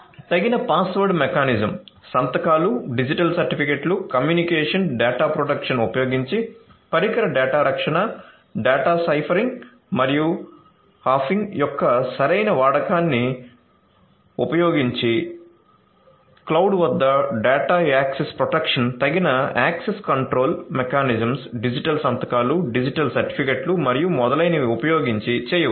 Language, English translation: Telugu, Data protection you know device data protection, using suitable password mechanism, signatures, digital certificates, communication data protection, using suitable use of you know data ciphering and hashing and data protection at the cloud using suitable access control mechanisms, digital signatures, digital certificates and so on